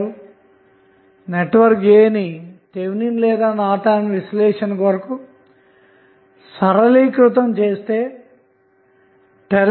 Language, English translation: Telugu, So, what next is that network a simplified to evaluate either Thevenin's orNorton's equivalent